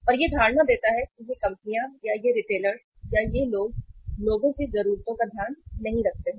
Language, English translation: Hindi, And it gives the impression that these companies or these retailers or these people do not take care of the needs of the people